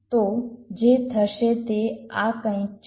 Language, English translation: Gujarati, so what should be